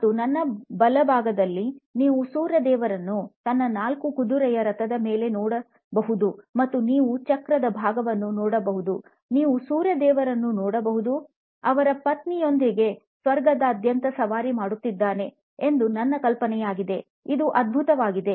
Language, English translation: Kannada, And on my right you can see the Sun God “Surya” on his chariot with the 4 horses, and you can see part of the wheel, you can see the Sun God, I guess with his consorts riding across the heavens